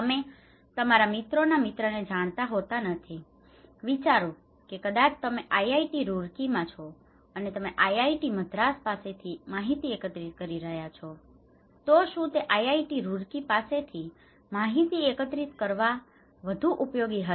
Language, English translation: Gujarati, You do not know your friends, friends, friends, friend maybe, you are at IIT Roorkee and you are collecting informations from IIT Madras that is more useful than only collecting informations from IIT Roorkee, right